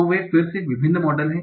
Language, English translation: Hindi, So there are again different various models